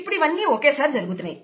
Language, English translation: Telugu, And all of these are simultaneously occurring